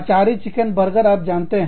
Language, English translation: Hindi, Achari chicken burger, you know